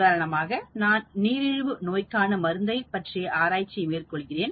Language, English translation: Tamil, For example, I am testing anti diabetic drug